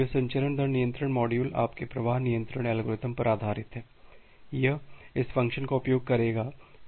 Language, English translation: Hindi, This transmission rate control module based on your flow control algorithm, it will use this function